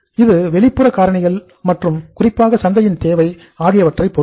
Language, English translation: Tamil, It depends upon the external factors and especially the demand in the market